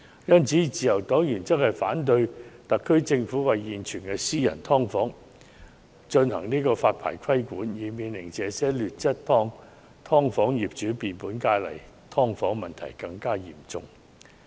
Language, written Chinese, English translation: Cantonese, 因此，自由黨原則上反對特區政府對現存的"劏房"進行發牌規管，以免這些劣質"劏房"的業主更有恃無恐，令"劏房"問題更嚴重。, For this reason the Liberal Party opposes in principle the introduction of a licencing system by the SAR Government to regulate the existing subdivided units so as not to give landlords of such substandard subdivided units even greater impunity and aggravate the problems with subdivided units